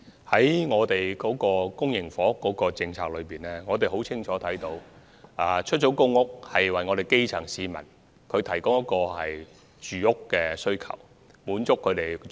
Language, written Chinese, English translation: Cantonese, 政府公營房屋政策的目的很清晰，就是提供出租公屋以滿足基層市民的住屋需要。, The objective of the Governments public housing policy is very clear and that is to provide PRH to meet the housing needs of the grass roots